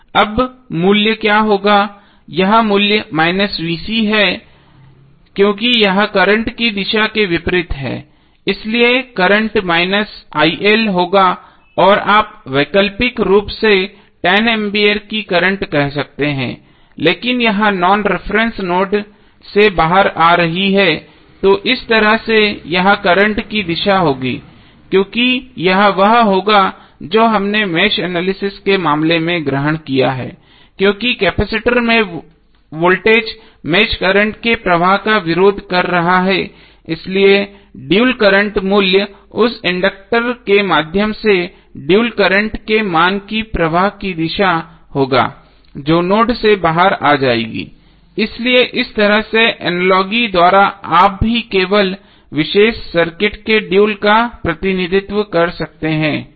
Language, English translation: Hindi, Now what would be the value, here the value is minus VC because it is opposite to the direction of the current, so the current would be minus il or alternatively you can say current of 10 ampere but it is coming it is coming out of non reference node, so in this way the direction of the current would be this, because this would be against what we have taken the assumption in the case of mesh analysis because voltage across capacitor is opposing the flow of mesh current so that is why the dual value of the dual current value would be the direction of that dual current through that inductor would be coming out of the node, so this way by analogy also you can simply represent the dual of the particular circuit